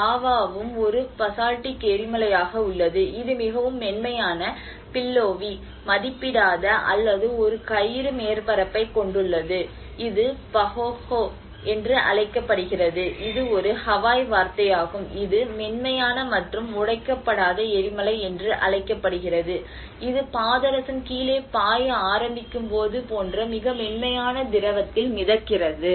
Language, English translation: Tamil, \ \ \ This is a very smooth surface which is unbroken lava is also a basaltic lava that has a very smooth, billowy, undulating or a ropy surface and this is called a Pahoehoe and this is a Hawaiian meaning which is called smooth and unbroken lava, it just floats in a very smooth liquid like you know when the mercury starts flowing down